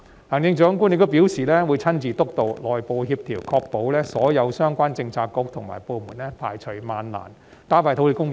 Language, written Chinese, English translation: Cantonese, 行政長官亦表示會親自督導內部協調，確保所有相關政策局和部門排除萬難，加快土地供應。, The Chief Executive also said that she would personally steer the internal coordination to ensure that all the bureaux and departments concerned would overcome all difficulties to increase land supply